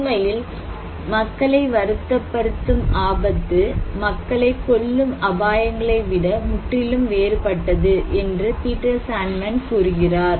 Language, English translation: Tamil, So, Peter Sandman, on the other hand is saying that risk that actually upset people are completely different than the risks that kill people